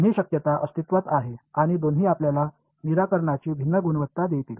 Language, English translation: Marathi, Both possibilities exist and both will give you different quality of solutions ok